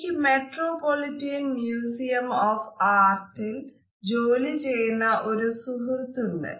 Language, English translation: Malayalam, You know I have a friend, who works at the metropolitan museum of art